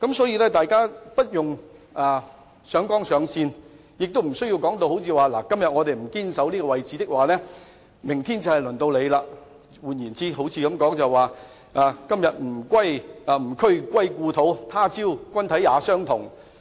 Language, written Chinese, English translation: Cantonese, 因此，大家無須上綱上線，亦無須說甚麼"如果今天不堅守這位置，明天就會輪到你"，彷彿是在說"今夕吾軀歸故土，他朝君體也相同"。, Therefore there is no need to make a mountain out of a molehill saying something to the effect that If we do not hold fast to this position today it will be your turn to suffer tomorrow . It is just like saying As my body turns to dust today so will yours in the future